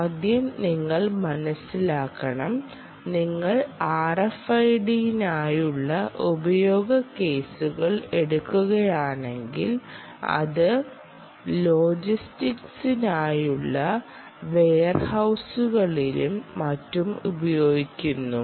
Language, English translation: Malayalam, first, you have to understand that if you take the use cases for r f i d, it is used in, let us say warehouses for logistics and all that